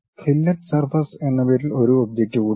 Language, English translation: Malayalam, There is one more object named fillet surface